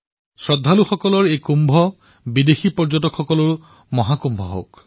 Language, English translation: Assamese, May this Kumbh of the devotees also become Mahakumbh of global tourists